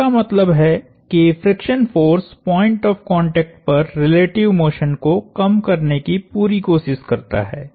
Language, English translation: Hindi, That means the friction force tries to be it’s best to minimize relative motion at the point of contact